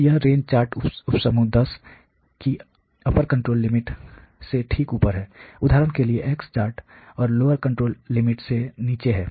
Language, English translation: Hindi, So, it is well above the upper control limit of the range chart sub group 10; for example, is below the lower control limit on the x chart